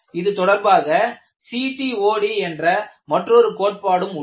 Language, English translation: Tamil, And there is also another related concept, which is known as CTOD